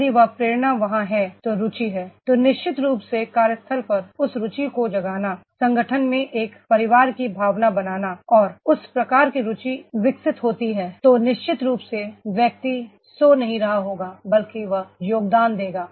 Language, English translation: Hindi, If that motivation is there, interest is there then definitely that arousing that interest at the workplace, making a feeling of a family at the organization and that type of interest is developed then definitely the person will be not sleeping but that he will be contributing